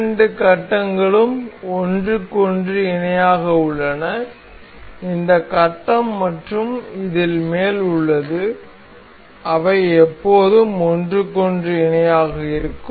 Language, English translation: Tamil, The two phases are parallel to each other, this phase and the top one of this, they will always remain parallel to each other